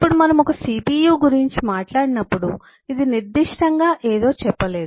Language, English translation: Telugu, now when we have talked about a cpu we did not say which specific one is this